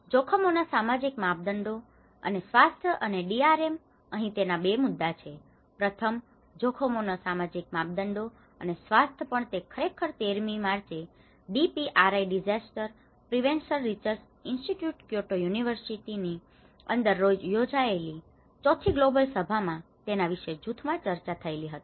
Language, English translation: Gujarati, On social dimension of risk and health and DRM, here there are 2 topics, one is social dimension of risk and also the health and this was actually discussed in the Fourth Global Summit which is a Group Discussion of 1D on 13th March in DPRI Disaster Prevention Research Institute in Kyoto University